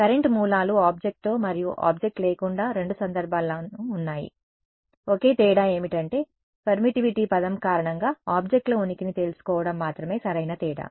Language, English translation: Telugu, The current sources is there in both cases with and without object the only difference is the objects presence came to be known due to permittivity term that is the only difference right